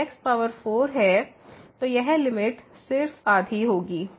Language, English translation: Hindi, So, this limit will be just half